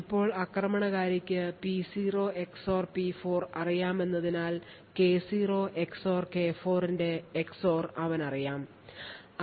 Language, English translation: Malayalam, Now since the attacker knows P0 XOR P4 he thus knows the XOR of K0 XOR K4